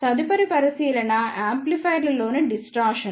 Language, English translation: Telugu, Next consideration is the distortion in amplifiers